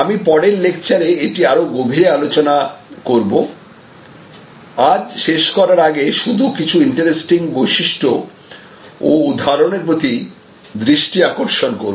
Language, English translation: Bengali, I will discuss this in greater depth in the next lecture, today I want to just point out before I conclude few interesting characteristics and examples